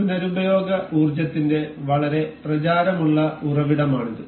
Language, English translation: Malayalam, This is a very popular source of renewable energy